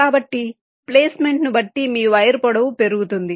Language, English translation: Telugu, so depending on the placement, your wire length might increase